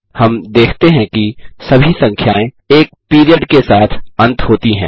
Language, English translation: Hindi, We observe that all the numbers end with a period